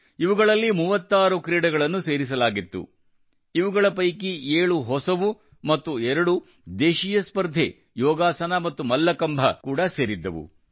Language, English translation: Kannada, 36 sports were included in this, in which, 7 new and two indigenous competitions, Yogasan and Mallakhamb were also included